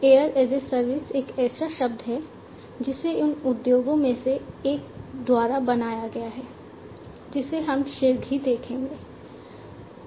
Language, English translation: Hindi, Air as a service is a term that was coined by one of these industries we will go through shortly